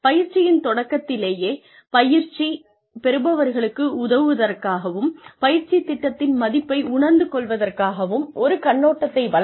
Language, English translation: Tamil, Provide an overview, at the beginning of training, to help trainees, assess the value of a training program